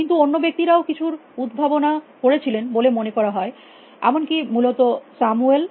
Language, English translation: Bengali, But, other people also set a have invented a including a Samuel essentially